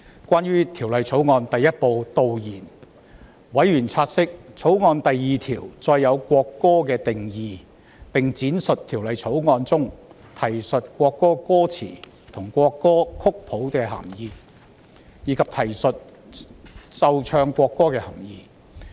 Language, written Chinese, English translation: Cantonese, 關於《條例草案》第1部導言，委員察悉，《條例草案》第2條訂明國歌的定義，並闡釋《條例草案》中提述國歌歌詞及國歌曲譜的涵義，以及提述"奏唱國歌"的涵義。, Regarding Part 1 of the Bill―Preliminary members note that clause 2 provides for the definition of national anthem and explains the meanings of the lyrics and the score of the national anthem and a reference to playing and singing the national anthem